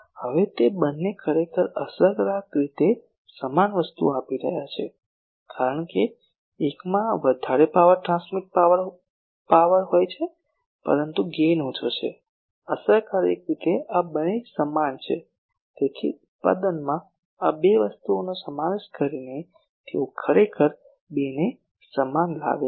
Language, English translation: Gujarati, Now both of them are actually giving effectively same thing, because one is having a higher power transmitter power, but the gain is less so, effectively this two are same, so they actually make this two equal by incorporating these two things in the product